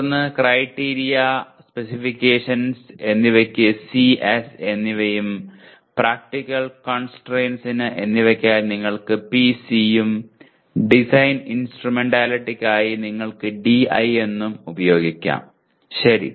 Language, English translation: Malayalam, And then Criteria and Specifications C and S and for Practical Constraints you can use PC and Design Instrumentalities you can use DI, okay